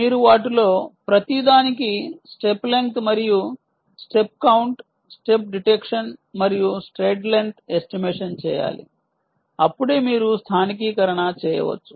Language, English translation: Telugu, right, you have to do step length and step count, step detection and stride length estimation for each one of them